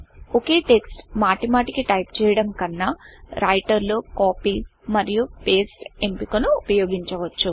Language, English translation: Telugu, Instead of typing the same text all over again, we can use the Copy and Paste option in Writer